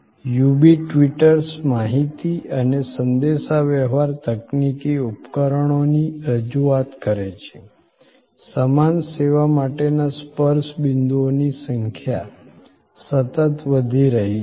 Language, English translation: Gujarati, The UB twitters presents of information and communication technology appliances, the number of touch points for the same service are going up and up